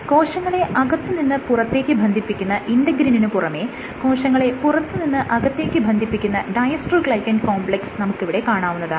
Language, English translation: Malayalam, So, in adhesion to integrins which link the inside of the cell to the outside, you have this other system called the dystroglycan complex which also links the outside of the cell to the inside of the cell